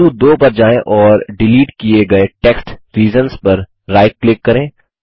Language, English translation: Hindi, Go to point 2 and right click on the deleted text reasons and say Accept Change